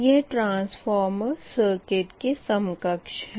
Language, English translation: Hindi, this is transformer, right